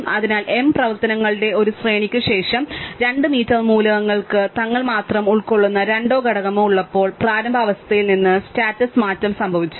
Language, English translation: Malayalam, So, after a sequence of m operations at most 2 m elements have had the status change from the initial condition, when they have a pointing two or component consisting only themselves